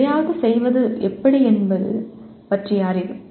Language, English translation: Tamil, Is the knowledge of how to do something